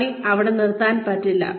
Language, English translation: Malayalam, The work cannot stop there